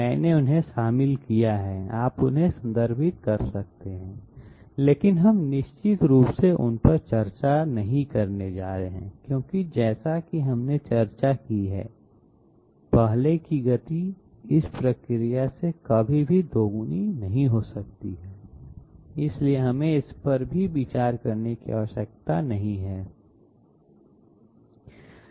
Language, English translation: Hindi, I have included them, you can refer to them but we are definitely not going to discuss them because as we have discussed previously speed can never be doubled by this process, so we need not even consider it